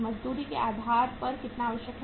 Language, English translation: Hindi, How much is required on account of wages